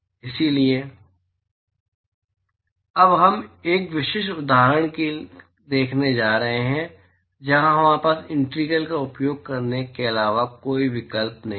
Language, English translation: Hindi, So, we are going to look at a specific example now, where we do not have a choice, but to use the integral